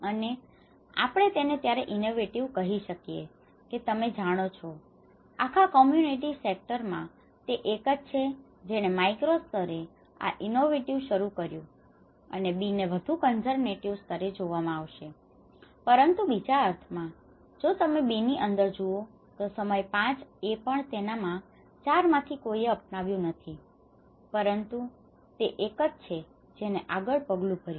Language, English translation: Gujarati, And we call; we can call him at an innovative at you know, in a whole community sector, he is the one who started that is innovative at a macro level and B could be looked in a more of a conservative level but in the other sense, if you look at it in the B, even at time 5, his none of; 4 of his friends have not still adopted but he is one who has taken a step forward